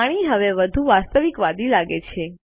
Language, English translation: Gujarati, The water looks more realistic now